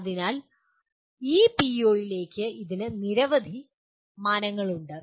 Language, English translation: Malayalam, So there are several dimensions to this, to this PO